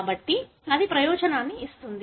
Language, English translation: Telugu, So, that gives an advantage